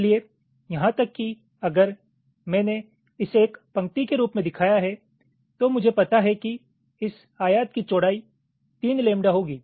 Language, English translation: Hindi, so so here, even if i shown it as a single line, i know that this rectangle width will be three lambda